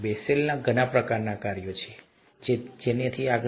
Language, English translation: Gujarati, There are Bessel’s functions of many kinds and so on so forth